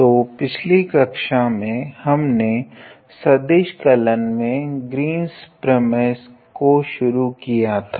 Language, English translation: Hindi, So, in your previous class we started with Green’s theorem in vector calculus